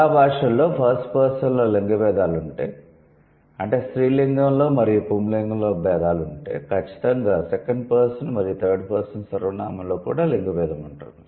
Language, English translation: Telugu, It says for most languages, if they have gender distinction in the first person pronoun, they also have the gender distinction in the second and and or third person pronoun